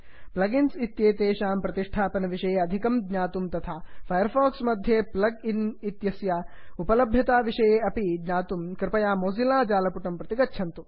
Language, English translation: Sanskrit, To learn more about plug ins available for mozilla firefox and instructions on how to install them please visit the mozilla website